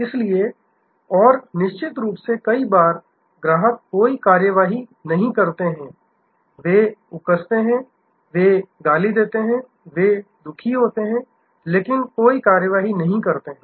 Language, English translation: Hindi, So, and of course, many times customers take no action, they brood, they are the slurp, they are unhappy, but that take no action